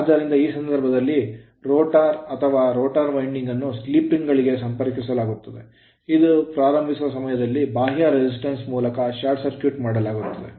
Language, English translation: Kannada, So, in this case the rotor or rotor winding is connected to slip rings which are shorted through your external resistance at the time of starting